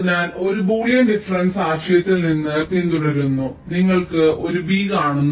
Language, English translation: Malayalam, so this also follows from the boolean difference concept